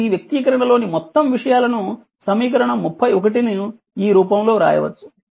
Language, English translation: Telugu, So, this this expression this whole thing equation 31 can be written in this form right